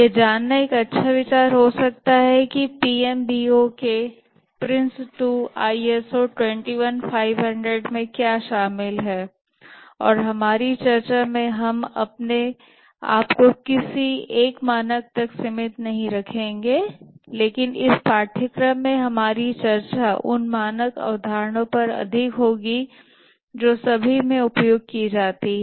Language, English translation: Hindi, It may be a good idea to know what is involved in the PMBOK Prince 2, ISO 21,500 and in our discussion we will not restrict ourselves to any one standard, but our discussion in this course will be more on concepts that are used across all these standards